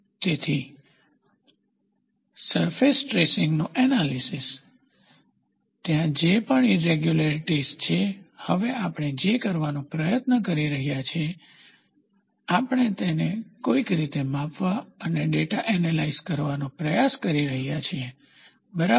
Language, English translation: Gujarati, So, analysis of surface traces, so the irregularities whatever is there, now what we are trying to do is, we are trying to somehow measure it and analyze the data, ok, measure and analyze the data